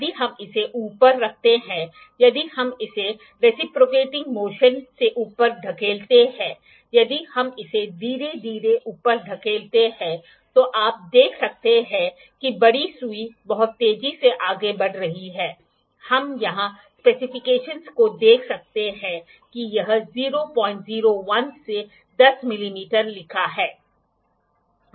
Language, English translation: Hindi, If we put it up if we push it up the reciprocating motion, if we push it up slowly you can see the larger needle is moving very quickly, we can see the specifications here that it is written that 0